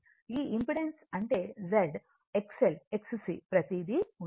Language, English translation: Telugu, This impedance means Z, X L, X C everything right